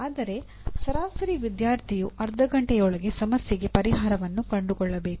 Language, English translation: Kannada, That means an average student should be able to find the solution to a problem within half an hour